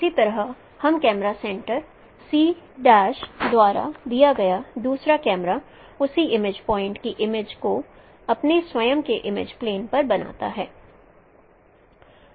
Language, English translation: Hindi, Similarly the second camera given by the camera center C prime forms an image of that same scene point at x prime in its own image plane